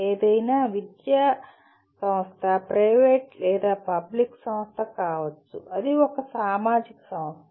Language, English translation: Telugu, After all any educational institution, private or public is a social institution